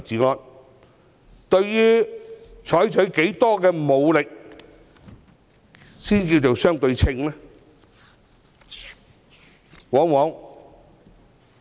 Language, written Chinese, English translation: Cantonese, 究竟採取多大武力才算相對稱？, What kind of force used by the Police is considered to be proportionate?